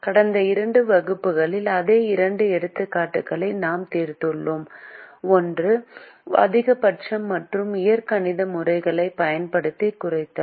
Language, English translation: Tamil, in the last two classes we have solved the same two examples, one for maximization and one for minimization, using the algebraic method